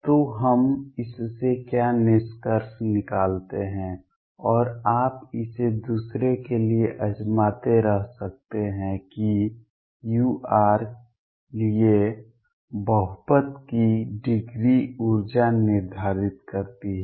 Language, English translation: Hindi, So, what we conclude in this through this and you can keep trying it for other else that the degree of polynomial for u r determines the energy